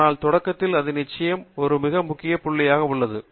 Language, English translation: Tamil, But, at the beginning, it definitely makes a very important point